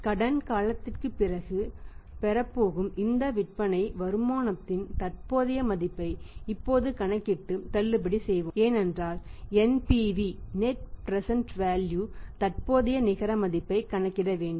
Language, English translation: Tamil, Now we calculate the present value of this sales proceeds which is going to receive after the credit period and let us discount because we have to calculate the NPV net present value